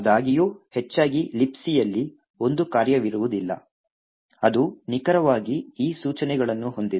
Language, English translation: Kannada, However, most likely there would not be a function in libc which has exactly this sequence of instructions